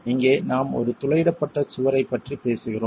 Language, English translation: Tamil, And here we are talking of a perforated wall